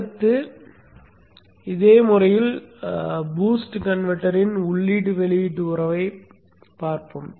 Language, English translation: Tamil, Next we will take up the input output relationship of the boost converter in the similar way